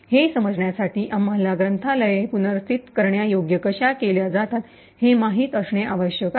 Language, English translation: Marathi, In order to understand this, we will need to know how libraries are made relocatable